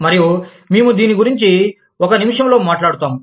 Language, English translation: Telugu, And, we will talk about this, in a minute